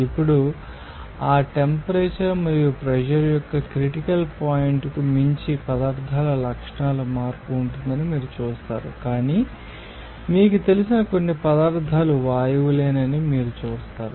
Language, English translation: Telugu, Now, beyond that critical point of that temperature and pressure, you will see that there will be a change of properties of the substances, but as you will see that some you know substances were supposed gases